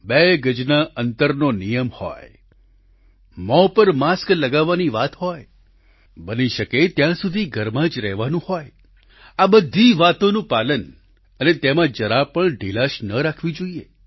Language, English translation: Gujarati, Whether it's the mandatory two yards distancing, wearing face masks or staying at home to the best extent possible, there should be no laxity on our part in complete adherence